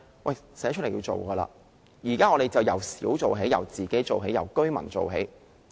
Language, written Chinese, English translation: Cantonese, 我們現在就由小做起，由自己做起，由居民做起。, We should now begin with the minor tasks begin with efforts made by ourselves and efforts made by residents